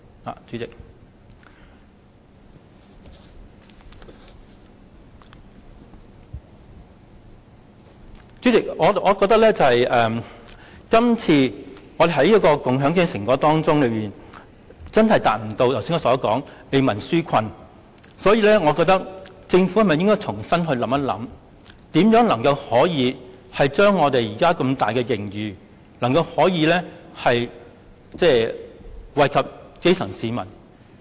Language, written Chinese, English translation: Cantonese, 代理主席，我認為今次預算案在共享經濟成果上，確實未能達到為民紓困的效果，所以政府應重新思考如何將龐大的盈餘益惠基層市民。, Deputy Chairman in the context of sharing economic prosperity I think it is true that the authorities have failed to fulfil the function of offering relief to the needy . Hence the Government should reconsider how the colossal surplus should be spent to benefit the grass roots